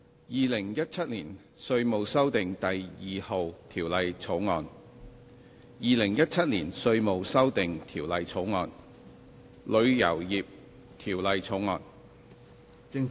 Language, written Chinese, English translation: Cantonese, 《2017年稅務條例草案》《2017年稅務條例草案》《旅遊業條例草案》。, Inland Revenue Amendment No . 2 Bill 2017 Inland Revenue Amendment Bill 2017 Travel Industry Bill